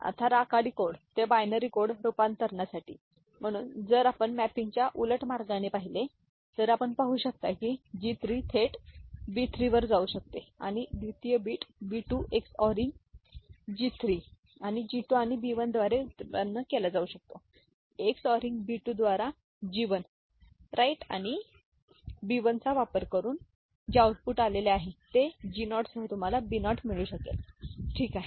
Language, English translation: Marathi, Now, for gray code to binary code conversion; so if you look at the reverse way the mapping is done we can see that G 3 can directly go as B 3 and second bit B 2 can be generated by XORing G 3 and G 2 and B 1 can be obtained by XORing B 2 the output that has been generated, using G 1, right and B 1 XORed with G naught you can get B naught, ok